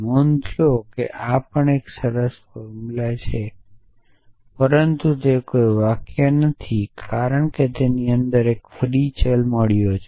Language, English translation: Gujarati, So, notice that this is also well form formula, but it is not a sentence because it is got a free variable inside essentially